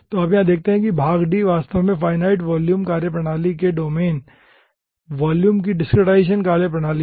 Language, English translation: Hindi, so here you see, part d is actually discretization methodology of the domain volume of finite volume methodology